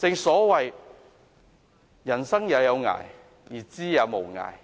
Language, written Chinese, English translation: Cantonese, 所謂"吾生也有涯，而知也無涯。, There is this saying that goes Your life has a limit but knowledge has none